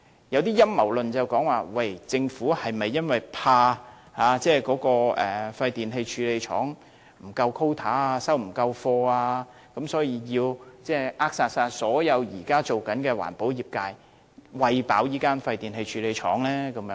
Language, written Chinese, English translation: Cantonese, 有一些陰謀論說，政府是否因害怕廢電器處理廠不夠 quota 或收貨量不足，所以要扼殺現時所有的環保業，以"餵飽"這間廢電器處理廠呢？, Some conspiracy theorists doubt if the Government fears the e - waste recycling facility will not have enough e - waste to handle or there will be inadequate e - waste for recycling and so it has to wipe out all the existing recyclers in order to feed this e - waste recycling facility